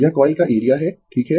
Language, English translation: Hindi, This is the area of the coil right